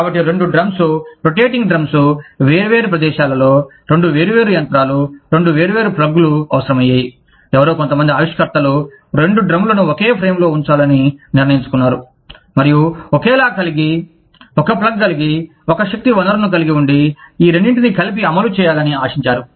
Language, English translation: Telugu, So, instead of having two drums, rotating drums, in different places, two separate machines, that required two separate plugs, somebody, some innovator, decided to put, both the drums in the same frame, and have a same, have one plug, have one power source, hope to run both of these, together